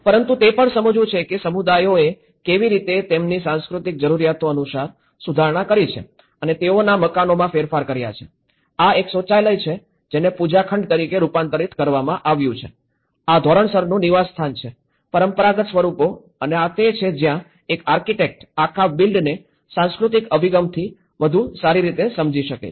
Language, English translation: Gujarati, But it is also one has to understand how communities have changed their dwellings to how they have modified according to their cultural needs, this is a toilet converted as a pooja room, this is standardized dwelling converted back to the traditional forms and this is where an architect can understand the whole build back better with a cultural approach